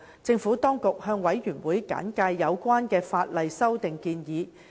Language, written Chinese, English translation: Cantonese, 政府當局向事務委員會簡介有關的法例修訂建議。, The Administration briefed the Panel on the proposed legislative amendments